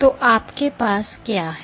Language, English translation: Hindi, So, what you have